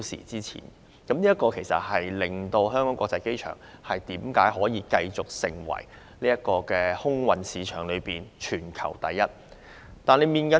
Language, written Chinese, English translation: Cantonese, 這就是香港國際機場能繼續在空運市場中位列全球第一名的原因。, This is precisely the reason why HKIA can continue to rank the first in the global airfreight market